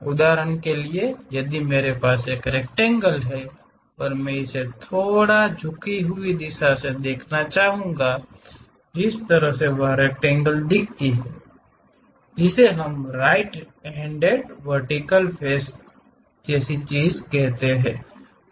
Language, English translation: Hindi, For example, if I have a rectangle and I would like to view it from slightly inclined right direction the way how that rectangle really looks like that is what we call right hand vertical face thing